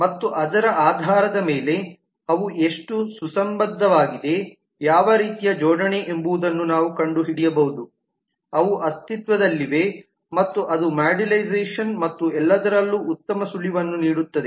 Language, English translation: Kannada, and based on that we can find out how coherent they are, what kind of coupling between them exist and that give a good clue in terms of modularization and all those as well